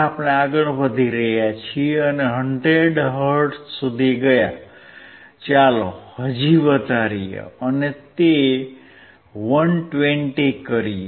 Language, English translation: Gujarati, Now we are increasing to 100 hertz, let us increase to 120 , still we cannot see